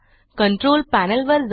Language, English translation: Marathi, Go to the Control Panel